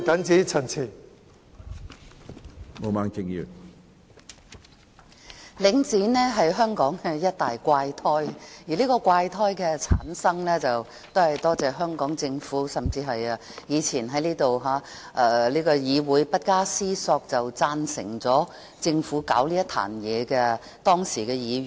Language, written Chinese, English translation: Cantonese, 主席，領展是香港的一大怪胎，而這個怪胎的產生，要歸功於香港政府，甚至是當時在立法會不加思索便贊成政府搞這個爛攤子的議員。, President Link REIT is a big freak in Hong Kong . The making of this freak is attributable to the Hong Kong Government and even those Members who supported the Government to create this mess in the Legislative Council without any thinking at that time